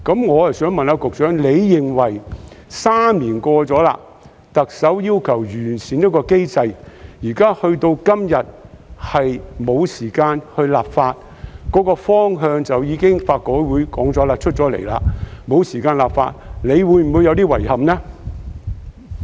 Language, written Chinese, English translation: Cantonese, 我想問局長，特首3年前要求完善保護兒童機制，時至今日，法改會已經提出方向，但沒有時間立法，局長會否感到有點遺憾呢？, I would like to ask the Secretary The Chief Executive requested an improvement of the child protection mechanism three years ago and LRC has now laid down the direction for that but there is no time for legislation . Has the Secretary found this a bit regrettable?